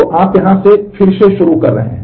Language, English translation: Hindi, So, you are starting to redo from here